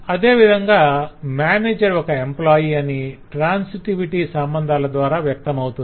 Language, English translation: Telugu, similarly manager is an employee is through the transitivity of all this relations